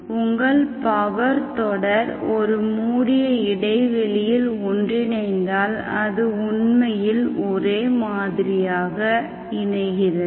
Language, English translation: Tamil, If your power series is converging on a closed interval, then it is actually converging uniformly